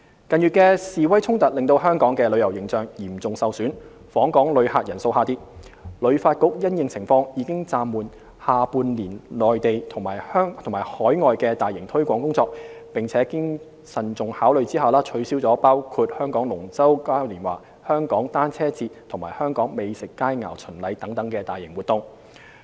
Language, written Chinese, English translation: Cantonese, 近月的示威衝突令香港的旅遊形象嚴重受損，訪港旅客人數下跌，旅發局因應情況，已暫緩下半年內地及海外的大型推廣工作，並經慎重考慮下取消了包括香港龍舟嘉年華、香港單車節及香港美酒佳餚巡禮等大型活動。, The protests in recent months have seriously damaged Hong Kongs tourism image resulting in a decline in visitor arrivals . In response to this situation HKTB suspended its large - scale promotion work in the Mainland and overseas markets in the second half of the year and cancelled after careful consideration large - scale events including the Hong Kong Dragon Boat Carnival the Hong Kong Cyclothon and the Hong Kong Wine Dine Festival